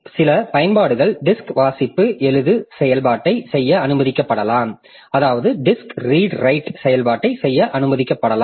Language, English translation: Tamil, So, some applications, so it may be allowed to do direct disk read write operations